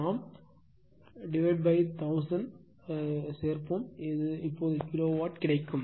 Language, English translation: Tamil, You add on we might by 1000 you will get it kilowatt right